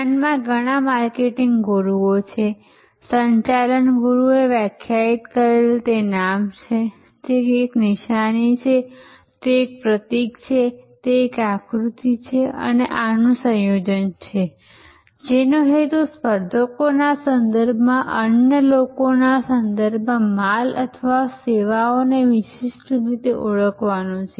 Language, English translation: Gujarati, Brand has many marketing gurus, management gurus have defined is a name, it is a sign, it is a symbol, it is a design and a combination of these, intended to identify the goods or services distinctively with respect to others with respect to competitors